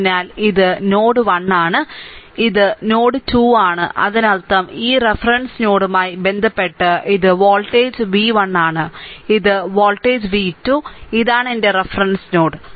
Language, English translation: Malayalam, So, this is my node 1, this is my node 2; that means, my this voltage is v 1 this voltage v 2 with respect to this reference node, this is my reference node